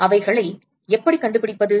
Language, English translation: Tamil, How do you find them